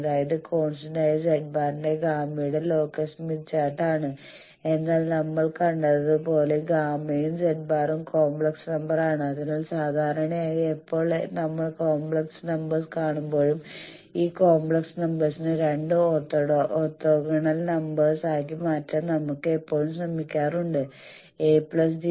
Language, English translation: Malayalam, That means, smith chart is the locus of gamma for constant Z, but as we have seen gamma and Z both are complex numbers so there will be generally we break whenever we come across complex numbers always we try to break these complex numbers into two orthogonal real numbers a plus j b